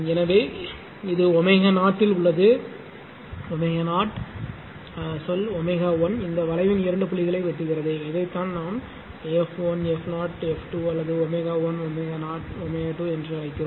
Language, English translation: Tamil, So, this is at frequency Z this is your omega is equal to say omega 1 it is intersecting two point of this curve and this is your what we call omega 21 f 1 f 0 f 2 or omega 1 omega 0 omega 2